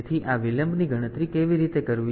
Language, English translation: Gujarati, So, how to calculate the delay